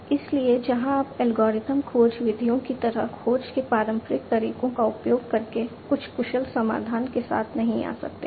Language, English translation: Hindi, So, where you know you cannot come up with some efficient solution using the traditional methods of search like the algorithmic search methods